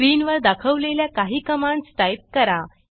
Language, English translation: Marathi, Type the following commands as shown on the screen